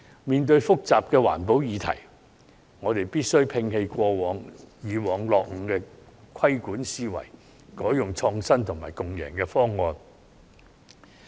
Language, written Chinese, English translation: Cantonese, 面對複雜的環保議題，我們必須摒棄以往落伍的規管思維，採用創新及共贏的方案。, When facing a complicated environmental issue we must discard the old and backward mindset in planning and adopt an innovative win - win solution